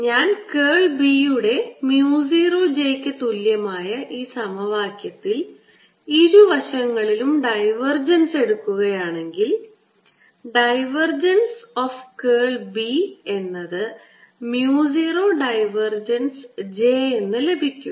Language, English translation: Malayalam, if i look this equation, curl of b is equal to mu naught j and take the divergence on both sides, divergence of both sides, divergence of curl of b is equal to divergence of mu zero, a mu zero, divergence of j